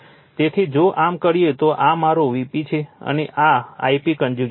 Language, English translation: Gujarati, So, if you do so, this is my V p, and this is I p conjugate right